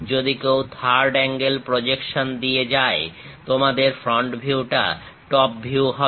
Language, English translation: Bengali, If one is going with third angle projection, your front view and top view